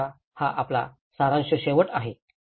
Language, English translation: Marathi, So now, that is the end of the our summary